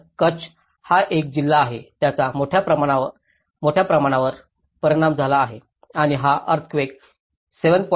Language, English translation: Marathi, So Kutch is the district which has been majorly affected and that is one of the major 7